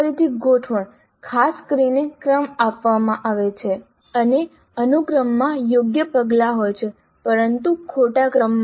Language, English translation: Gujarati, Then rearrangements, particularly a sequence is given and the sequence contains the right steps but in wrong order